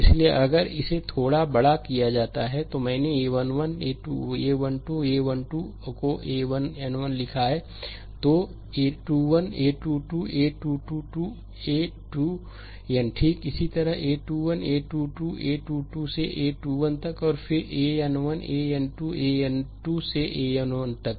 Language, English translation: Hindi, So, if it is given like little bit bigger I have written the a 1 1, a 1 2, a 1 3 up to a 1 n, then a 2 1, a 2 2, a 2 3 up to a 2 n, right similarly, a 3 1, a 3 2, a 3 3 up to a 3 n, and then a n 1, a n 2, a n 3 up to a n n